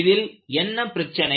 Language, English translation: Tamil, And what was the problem